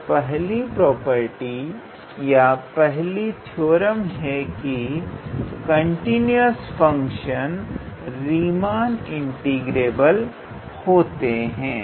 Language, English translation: Hindi, So, the first property or the first theorem in this regard is every continuous function continue sorry every continuous function is Riemann integrable